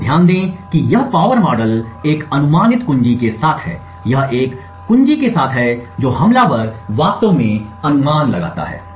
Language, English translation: Hindi, So, note that this power model is with a guessed key, this is with a key that the attacker actually guesses